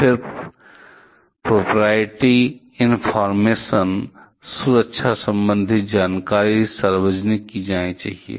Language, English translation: Hindi, Then the proprietary information, security related information should be made public